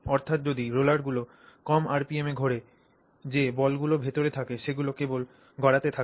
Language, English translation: Bengali, So, if the rollers roll in at low RPM, then the balls that are present inside they also just keep rolling